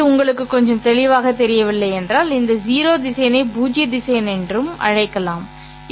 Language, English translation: Tamil, If it is little unclear to you, you can call this 0 vector as the null vector